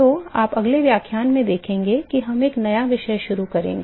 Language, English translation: Hindi, So, what you will see in the next lecture is we will start a new topic